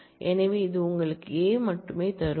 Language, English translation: Tamil, So, it will give you A only